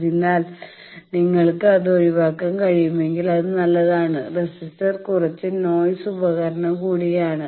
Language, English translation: Malayalam, So, that is why if you can avoid, it is good also resistor again has a bit of noisy device